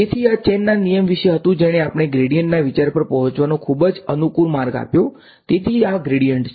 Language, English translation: Gujarati, So, this was about the chain rule which gave us the a very convenient way to arrive at the idea of a gradient so, this is the gradient